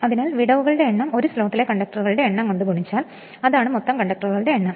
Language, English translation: Malayalam, So, number of slots is equal to into number of conductors per slot that is the total number of conductor right